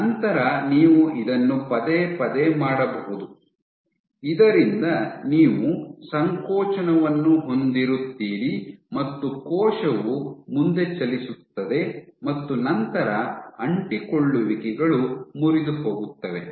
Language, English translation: Kannada, And you can keep on having doing this repeatedly that you have a contraction cell moves forward adhesions are broken and so on and so forth